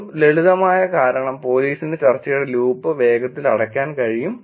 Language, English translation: Malayalam, A simple reason could be police can actually quickly close in the loop of the discussion